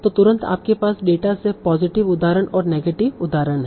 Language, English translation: Hindi, So immediately you have the positive examples and negative examples from the data